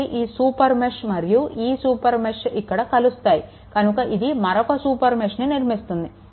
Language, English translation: Telugu, So, this super mesh and this super mesh they intersect, right, finally, they created the, this super mesh